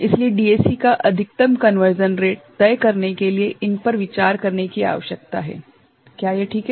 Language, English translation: Hindi, So, these are need to be considered in deciding the maximum rate of conversion of a DAC, is it fine